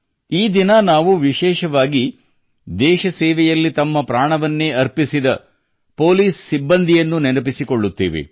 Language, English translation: Kannada, On this day we especially remember our brave hearts of the police who have laid down their lives in the service of the country